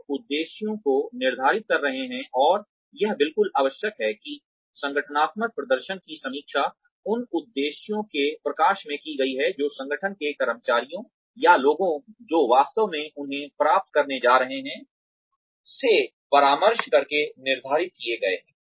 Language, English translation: Hindi, You are setting the objectives and, it is absolutely essential that, the organizational performance is reviewed in light of the objectives, that have been set, by consulting the employees of the organization, or the people, who are going to actually achieve them